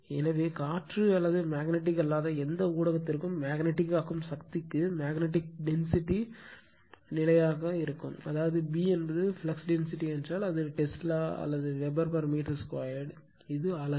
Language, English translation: Tamil, So, for air or any non magnetic medium, the ratio of magnetic flux density to magnetizing force is a constant, that is if your B is the flux density, it is Tesla or Weber per meter square it is unit right